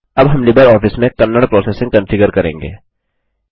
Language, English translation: Hindi, Now we will configure Kannada processing in LibreOffice